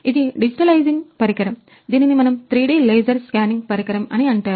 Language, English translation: Telugu, This is a digitizing device, we can say 3D laser scanning